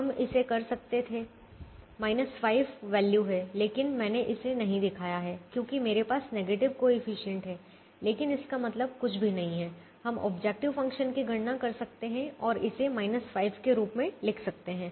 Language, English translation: Hindi, minus five is the value, but i have i have not shown it because i have one with the negative coefficient, but that doesn't mean anything we can calculate the objective function and write it as minus five